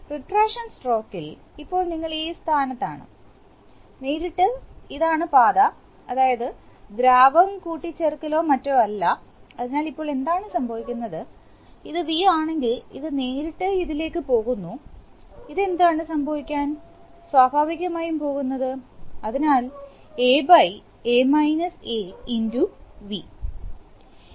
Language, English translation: Malayalam, In the retraction stroke, in the retraction stroke, now you are in this position, so now, this simply, this is the path, directly this is the path, that is there is no there is no fluid addition or anything, so now what is happening is that, if this is V then this is V and obviously because it directly goes into this and what is going to be this, this is going to be, naturally this will be, so A into, rather into v